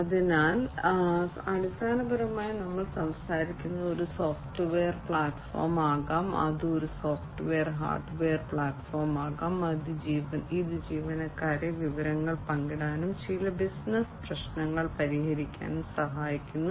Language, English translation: Malayalam, So, basically we are talking about a platform which can be a software platform, which can be a software hardware platform, which helps the in employees to share information and solve certain business problems